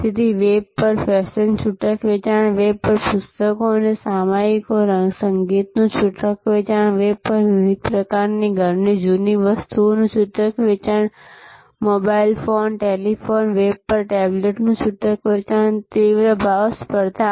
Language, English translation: Gujarati, So, fashion retailing on the web a books and periodicals and music retailing on the web, different types of house old stuff retailing on the web, mobile phone, a telephone, tablet retailing on the web, intense price competition